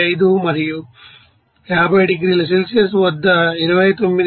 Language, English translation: Telugu, 95 and at 50 degree Celsius it is 29